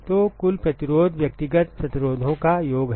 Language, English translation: Hindi, So, the total resistance is the sum of individual resistances